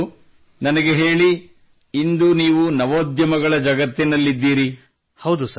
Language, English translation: Kannada, Ok tell me…You are in the startup world